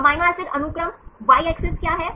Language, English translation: Hindi, Amino acid sequence, what is the Y axis